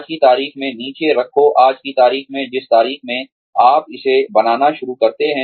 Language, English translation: Hindi, Put down, today's date, the date on which, you start making this